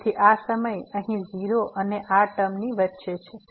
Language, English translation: Gujarati, So, this time here lies between 0 and this term